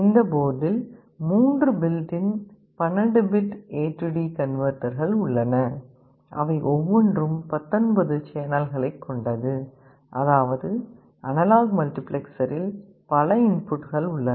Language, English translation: Tamil, In this board there are 3 built in 12 bit A/D converters and each of them can support up to 19 channels; that means, the analog multiplexer has so many inputs